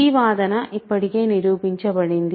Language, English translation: Telugu, So, that this claim is proved already